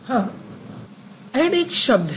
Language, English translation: Hindi, Add is also a word